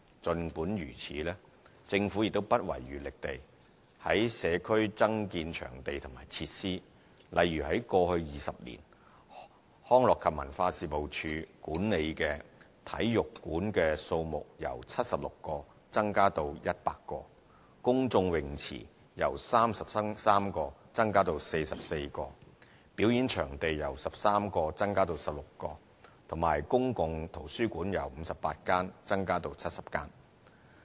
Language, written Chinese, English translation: Cantonese, 儘管如此，政府亦不遺餘力地在社區增建場地及設施，例如在過去20年，康樂及文化事務署管理的體育館數目由76個增加至100個、公眾泳池由33個增加至44個、表演場地由13個增加至16個及公共圖書館由58間增加至70間。, Yet the Government spares no efforts in adding venues and facilities to the community . For instance over the last 20 years the number of sports centres managed by the Leisure and Cultural Services Department LCSD has increased from 76 to 100 the number of public swimming pools from 33 to 44 performance venues from 13 to 16 and public libraries from 58 to 70